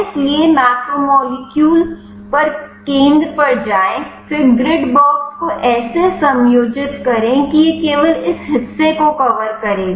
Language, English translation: Hindi, So, go to center on macromolecule, then adjust the grid box such that it will cover only this portion